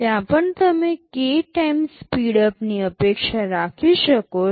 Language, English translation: Gujarati, There also you can expect a k times speedup